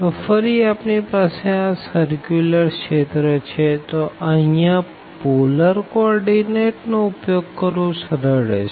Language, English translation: Gujarati, So, again since we have the circular region it would be much convenient to use the polar coordinate